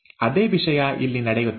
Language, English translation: Kannada, Same thing happens here